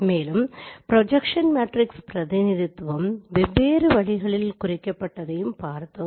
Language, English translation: Tamil, So as we have discussed that projection matrix can be represented in different ways